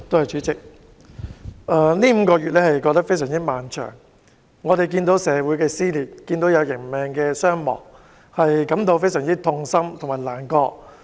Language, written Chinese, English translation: Cantonese, 主席，過去5個多月非常漫長，我們看到社會撕裂，人命傷亡，實在感到非常痛心和難過。, President the past five months or so have been long . Seeing the dissension in society as well as the injuries and deaths we really find it heart - rending and distressing